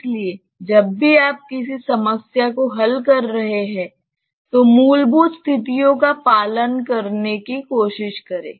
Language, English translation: Hindi, So, whenever you are solving a problem try to adhere to the fundamental situations